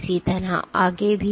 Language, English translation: Hindi, So on and so forth